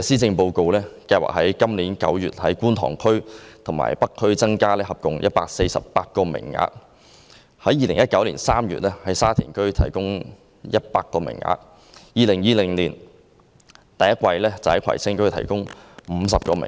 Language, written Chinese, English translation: Cantonese, 政府原本計劃於今年9月在觀塘區和北區合共增加148個名額，於2019年3月在沙田區提供100個名額，於2020年首季在葵青區提供50個名額。, Originally the Government had planned to provide a total of 148 additional aided places together in Kwun Tong District and North District in September this year; 100 places in Sha Tin District in March 2019; and 50 places in Kwai Tsing District in the first quarter of 2020